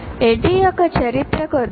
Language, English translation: Telugu, Now a little bit of history of ADI